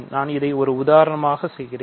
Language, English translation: Tamil, So, let me just do an example